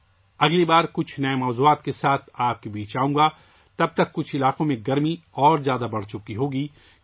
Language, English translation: Urdu, Next time I will come to you with some new topics… till then the 'heat' would have increased more in some regions